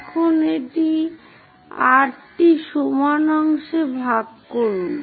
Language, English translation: Bengali, Now, divide that into 8 equal parts